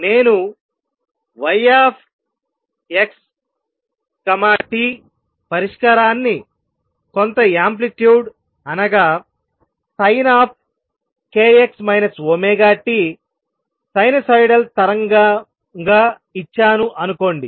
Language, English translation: Telugu, Suppose I have the solution y x t given as some amplitude sin k x minus omega t, sinusoidal wave